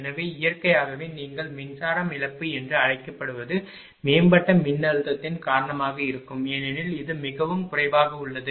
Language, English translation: Tamil, So, naturally your ah what you call that ah this power loss will ah because of the improved voltage because it is ah your much less